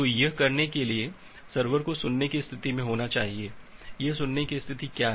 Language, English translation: Hindi, So, to do that what the server has to do the server has to first to be in the listen state, what is this listen state